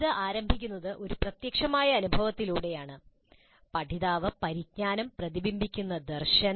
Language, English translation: Malayalam, It starts with a concrete experience, a concrete experience that the learner undergoes